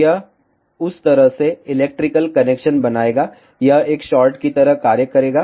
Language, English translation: Hindi, So, it will make a electrical connection in that way, it will act like a short